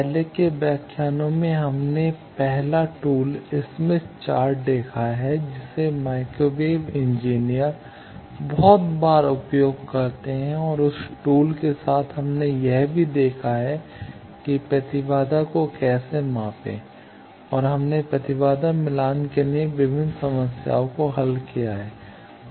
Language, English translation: Hindi, In earlier lectures we have seen the first tool smith chart, which microwave engineers use very often and with that tool we have also seen how to measure impedance and we have solved various problems for impedance matching